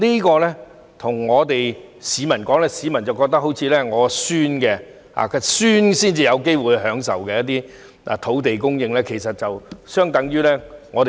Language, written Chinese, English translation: Cantonese, 對於這些發展，市民或會認為要到孫子那一輩才有機會享用這些土地供應，政府說了等於白說。, With regard to these developments people may think that they are merely empty talk of the Government as the generated land supply would only benefit their grandchildren